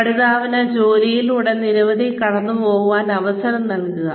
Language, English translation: Malayalam, So, have the learner, go through the job, several times